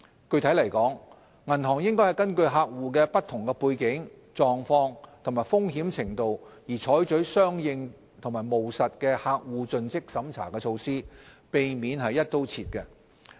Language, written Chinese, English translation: Cantonese, 具體來說，銀行應該根據客戶的不同背景、狀況和風險程度而採取相應和務實的客戶盡職審查措施，避免"一刀切"。, Specifically instead of adopting a one - size - fits - all approach banks should conduct CDD measures in a proportionate and pragmatic manner having regard to the different backgrounds circumstances and risk levels of customers